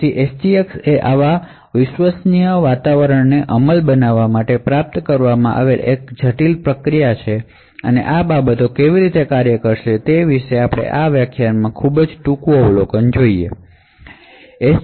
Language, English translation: Gujarati, So SGX is quite a complicated mechanism to achieve this trusted execution environment and we will just see a very brief overview in this lecture about how these things would work